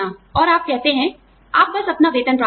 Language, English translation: Hindi, And, you say, you just get your salary